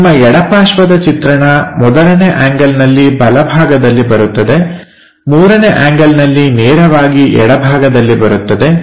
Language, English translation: Kannada, So, your left side view comes on right side in 1st angle; in 3rd angle is right away comes on the left side